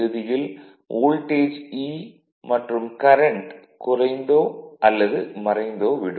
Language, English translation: Tamil, So, finally, that voltage E also will reduce and the current also will reduce or diminished right